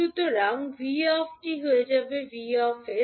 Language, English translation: Bengali, So, vt will become vs